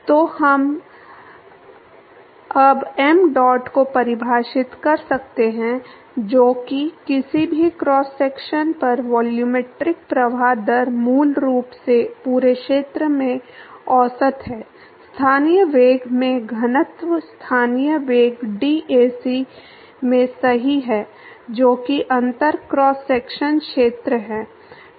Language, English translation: Hindi, So, now, we can define mdot which is the volumetric flow rate at any cross section is basically, averaged over the whole area, density into the local velocity, local velocity into dAc right that is the differential cross sectional area